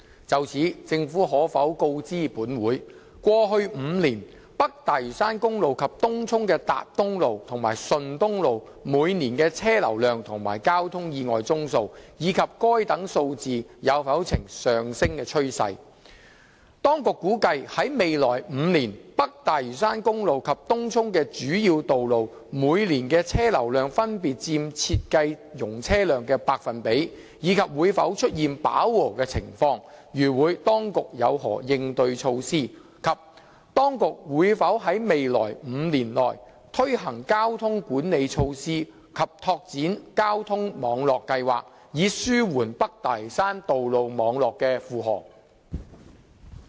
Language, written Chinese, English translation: Cantonese, 就此，政府可否告知本會：一過去5年，北大嶼山公路及東涌的達東路和順東路每年的車流量及交通意外宗數，以及該等數字有否呈上升趨勢；二當局估計在未來5年，北大嶼山公路及東涌的主要道路每年的車流量分別佔設計容車量的百分比，以及會否出現飽和情況；如會，當局有何應對措施；及三當局會否在未來5年內推行交通管理措施和拓展交通網絡計劃，以紓緩北大嶼山道路網絡的負荷？, In this connection will the Government inform this Council 1 of the respective vehicular flows of and numbers of traffic accidents which happened on North Lantau Highway as well as Tat Tung Road and Shun Tung Road in Tung Chung in each of the past five years and whether there has been an upward trend in such figures; 2 of the respective percentages as projected by the authorities of vehicular flows of North Lantau Highway and the major roads in Tung Chung in their design capacities in each of the coming five years and whether the vehicular flows will reach saturation; if so of the authorities measures to deal with the situation; and 3 whether the authorities will implement within the coming five years traffic management measures and plans for expanding the traffic network to alleviate the traffic load of the road network in North Lantau?